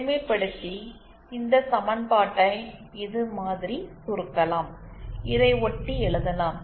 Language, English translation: Tamil, And on simplification this equation reduces to, which in turn can be written as